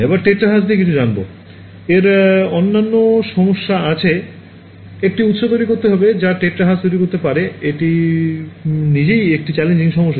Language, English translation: Bengali, So, as you go to well will come to terahertz, terahertz has other problems it is to make a source that can generate terahertz is itself a challenging problem